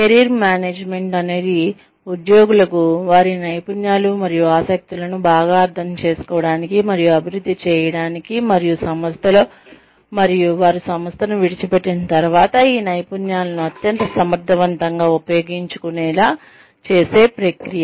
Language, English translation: Telugu, Career Management is a process, for enabling employees, to better understand and develop their skills and interests, and to use these skills, most effectively within the company, and after they leave the firm